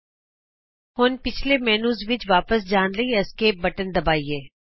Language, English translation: Punjabi, Let us now press Esc to return to the previous menu